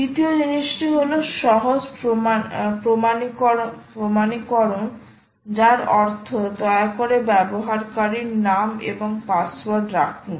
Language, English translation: Bengali, simple authentication, which means please put the username and password right